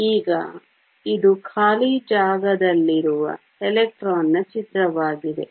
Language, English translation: Kannada, Now, this is the picture for an electron that is in free space